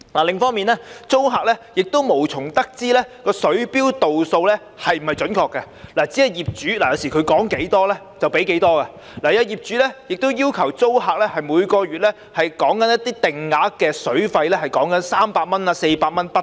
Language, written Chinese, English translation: Cantonese, 另一方面，租客無從得知水錶度數是否準確，有時只是業主說多少他們便要付多少，也有些業主會要求租客每月繳交定額水費，金額是300元至400元不等。, Furthermore tenants have no way finding out whether the readings of the water meters are accurate . Sometimes the amounts payable by them are simply determined by their landlords while some landlords will require their tenants to pay a fixed monthly water fee ranging from 300 to 400